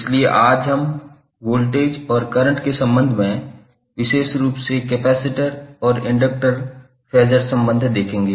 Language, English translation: Hindi, So today we will see particularly the capacitor and inductor Phasor relationship with respect to voltage and current